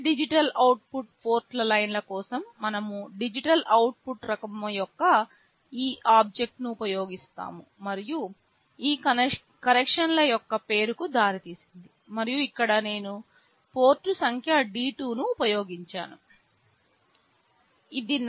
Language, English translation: Telugu, For all digital output port lines, we use this object of type DigitalOut, and led is the name of this connection, and here I have used port number D2